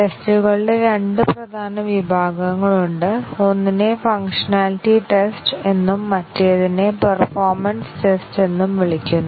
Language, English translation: Malayalam, There are two major categories of tests; one is called as the functionality test and other is called as the performance test